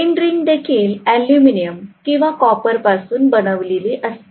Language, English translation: Marathi, End ring will also be made up of aluminum or copper